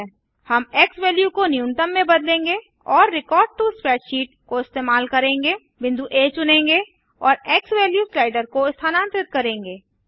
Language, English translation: Hindi, We will change the x value to minimum, and the use the record to spreadsheet, select point A and move the xValue slider